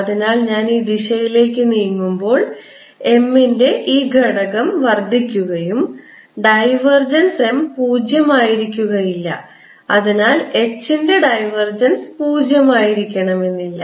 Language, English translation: Malayalam, so, as i am moving in the direction this way, that component of m is increasing and divergence of m is not zero